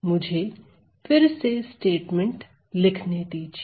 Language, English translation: Hindi, So, again let me write down the statement